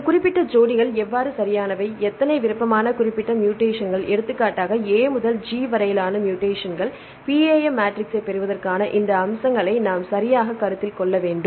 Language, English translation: Tamil, Then how this specific pairs right for example, how many what are the preferred specific mutations, for example, the mutations A to G, right we need to consider all these aspects right to derive the PAM matrix